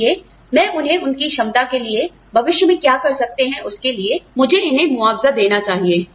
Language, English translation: Hindi, So, let me compensate them, for what they can do in future, for their ability